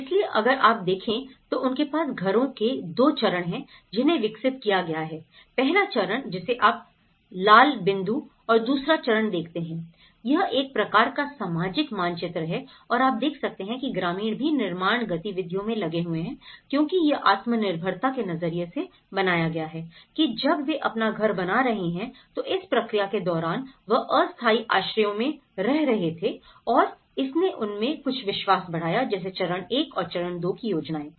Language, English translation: Hindi, So, if you look at the they have two stages of houses which has been developed, the first stage which you see the red dot and the second stage so, this is a kind of social map and you can see the villagers are also engaged in the construction activities so, because it has built self reliance when they are building their own home so, during this process they were living in the temporary shelters and it has given them some kind of confidence like some of the plans of the stage 1 and stage 2